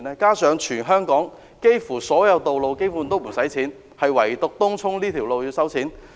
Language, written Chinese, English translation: Cantonese, 再者，全港幾乎所有道路都不用收費，唯獨東涌這條路要收費。, Moreover almost all roads in Hong Kong are toll free why should tolls be charged on this road in Tung Chung?